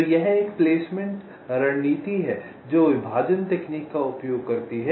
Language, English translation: Hindi, so this is a placement strategy which uses partitioning technique